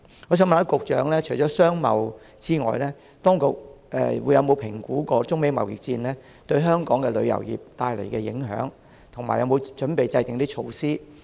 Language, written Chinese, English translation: Cantonese, 我想問局長，當局有否評估中美貿易戰對香港旅遊業帶來的影響，以及有否準備制訂對應措施？, May I ask the Secretary whether the authorities have assessed the impacts of the China - US trade war on Hong Kongs tourism industry and whether they are prepared to formulate any corresponding measures?